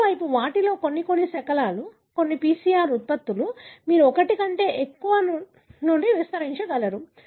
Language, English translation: Telugu, On the other hand, some of them are, some of the fragments, some of the PCR products were, you are able to amplify from more than one